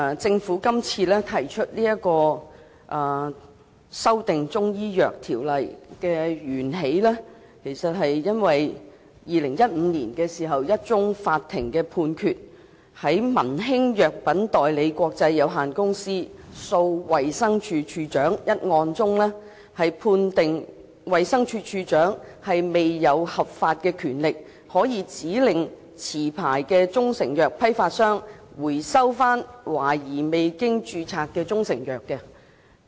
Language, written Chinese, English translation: Cantonese, 政府今次提出修訂其實是源自2015年的一宗法庭判決，在民興藥品代理國際有限公司訴衞生署署長一案中，法庭判決衞生署署長並無合法權力可以指令持牌中成藥批發商回收懷疑未經註冊的中成藥。, The Government proposed these amendments actually because of a court judgment made on a case namely Man Hing Medical Supplies Ltd v Director of Health in 2015 in which the Court ruled that the Director of Health had no lawful power to instruct the licensed wholesaler of proprietary Chinese medicine to recall the suspected unregistered proprietary Chinese medicine in question